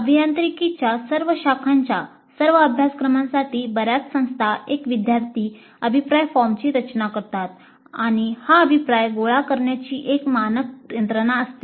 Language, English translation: Marathi, Most institutions design one student feedback form for all the courses of all branches of engineering and have a standard mechanism of collecting this feedback